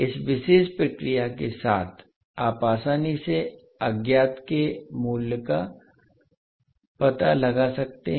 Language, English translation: Hindi, So basically with this particular process, you can easily find out the values of the unknowns